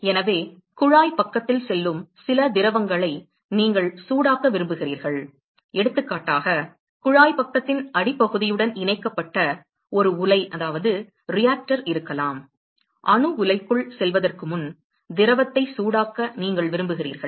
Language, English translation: Tamil, So, you want to heat some fluid which is going on the tube side for example, there may be a reactor which is connected to the bottom exist of the tube side; you want to heat the fluid before it gets into the reactor